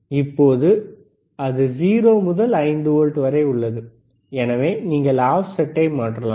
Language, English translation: Tamil, bBut now it is from 0 to 5 volts so, you can change the offset, all right